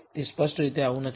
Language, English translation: Gujarati, Clearly it is not so